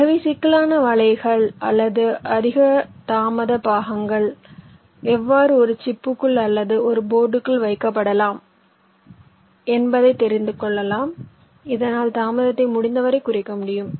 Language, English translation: Tamil, so this shows you so how the critical nets or the higher delay parts can be put, means [in/inside] inside a chip or or within a board, so as to minimize the delay as much as possible